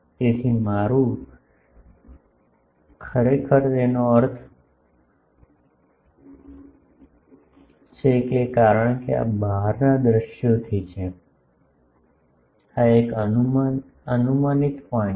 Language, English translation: Gujarati, So, this is my actually; that means, because these are from outside scene this is an hypothetical point